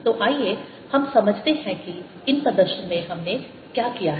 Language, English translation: Hindi, so let us understand what we have done in these demonstrations